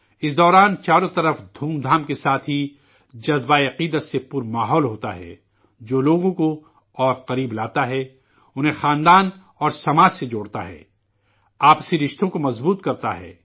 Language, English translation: Urdu, During this time, there is an atmosphere of devotion along with pomp around, which brings people closer, connects them with family and society, strengthens mutual relations